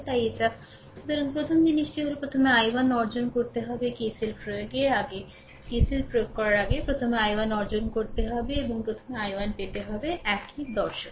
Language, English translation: Bengali, So, first thing is that you have to obtain i 1 first you have to obtain i 1 and before sorry before applying KCL ah before applying KCL, first you ah obtain i 1 so, same philosophy same philosophy